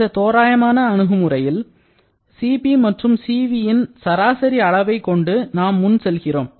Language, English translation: Tamil, In approximate approach, we consider an average value of Cp and Cv and proceed accordingly